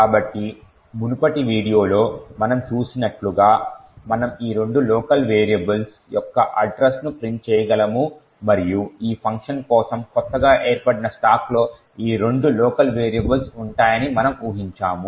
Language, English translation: Telugu, So, as we have seen in the previous video we could print the address of this two local variables and as we would expect this two local variables would be present in the newly formed stacks in for this function